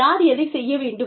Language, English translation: Tamil, Who should do, what